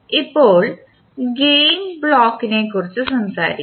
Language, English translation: Malayalam, Now, let us talk about the Gain Block